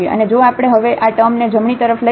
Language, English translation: Gujarati, And if we take now this term to the right hand side